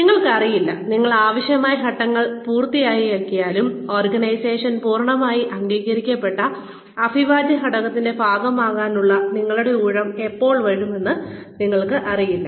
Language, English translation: Malayalam, You do not know, even if you complete the necessary steps, you do not know, when your turn will come, to become a part of fully recognized, integral part of the organization